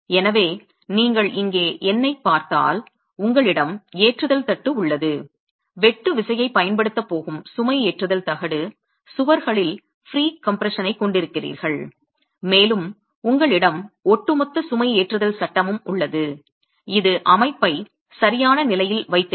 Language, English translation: Tamil, So, if you look at the numbering here, you have the loading platin, the loading platin which is going to be applying the shear force, you have the pre compression in the walls and you have the overall loading frame which is holding the setup in position